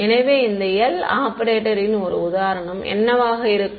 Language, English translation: Tamil, So, what could be an example of this L operator